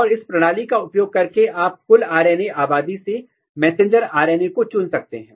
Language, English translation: Hindi, And using this system, you can specifically remove messenger RNA from the total RNA population